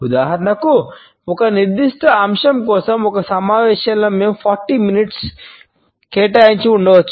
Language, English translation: Telugu, For example, in a meeting for a particular agenda item we might have allocated 40 minutes